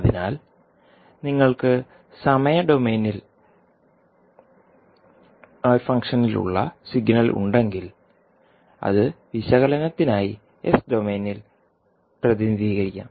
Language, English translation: Malayalam, So, basically if you have signal which have some function in time domain that can be represented in s domain for analysis